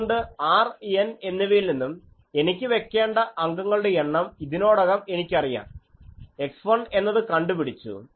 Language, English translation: Malayalam, So, from R N, I already know that number of elements I want to put, x 1 is found